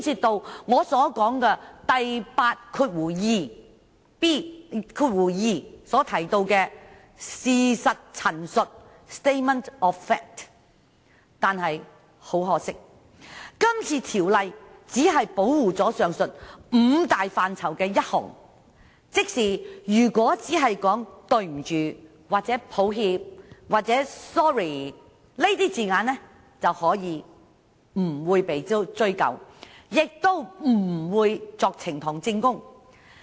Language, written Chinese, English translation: Cantonese, 第82條提到的事實陳述均涉及以上範疇，但很可惜，今次條例只保護上述五大範疇的第一項，即如果只說"對不起"、"抱歉"、"sorry" 等字眼，便不會被追究，也不會被當作呈堂證供。, The statement of fact mentioned in clause 82 has something to do with all the above elements . Regrettably though the Bill will protect only the first of the five elements above meaning that a person will not be held liable for only saying sorry or expressing regret . Such words will not be admissible